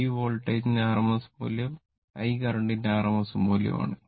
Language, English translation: Malayalam, V is the rms value and I is the rms value of the voltage and I is the rms value of the current right